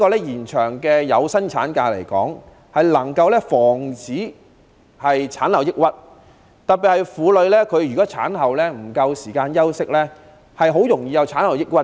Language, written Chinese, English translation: Cantonese, 延長有薪產假能夠防止產後抑鬱，如果婦女產後休息不足，特別容易患上產後抑鬱。, The extension of paid maternity leave can help prevent postpartum depression . If a woman does not have enough rest after giving birth it is especially easy for her to have postpartum depression